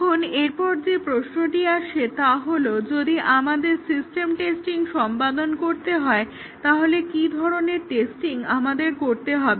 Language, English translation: Bengali, Now, the next question that comes is, if we have to do the system testing, what sort of testing we need to do